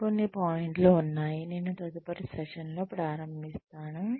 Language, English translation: Telugu, There are some more points, that I will start, within the next session